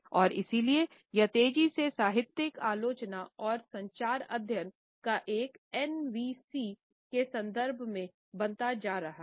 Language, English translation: Hindi, And therefore, it is increasingly becoming a part of literary criticism and communication studies in the context of NVCs